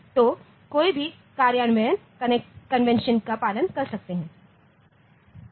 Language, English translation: Hindi, So, any implementation can follow either of the conventions